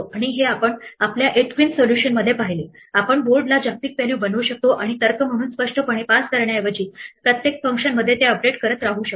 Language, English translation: Marathi, And this we saw in our 8 queens solution, we can make the board into a global value and just keep updating it within each function rather than passing it around explicitly as an argument